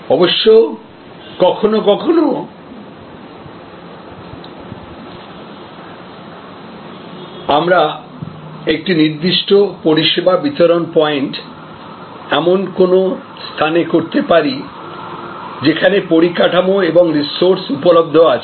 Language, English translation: Bengali, Of course, sometimes we may also locate a particular service distribution point at a location, where infrastructure and resources are available